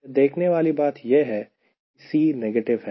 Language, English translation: Hindi, that the c is negative